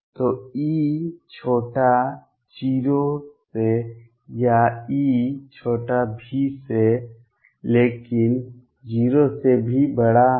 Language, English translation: Hindi, So, E is less than 0 or E is less than V, but is also greater than 0